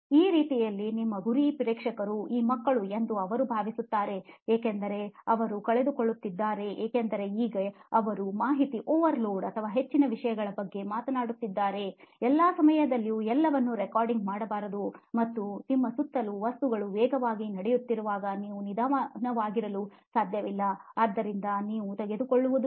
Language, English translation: Kannada, So in that way do you think that your target audience of you know these kids are they losing out on you know because now they are talking about information overload and so much of a stuff, should not there be recording all that and be on top of it all the time because speed is the essence, you cannot be slow when things are going so fast around you, so what is your take on that